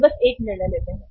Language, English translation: Hindi, They simply take a decision